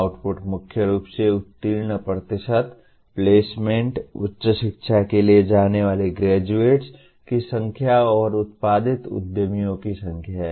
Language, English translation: Hindi, Outputs are mainly pass percentages, placements, number of graduates going for higher education and the number of entrepreneurs produced